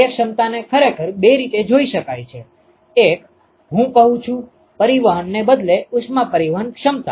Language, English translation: Gujarati, The efficiency can actually be looked at in two ways: one is the I would say transport rather heat transport efficiency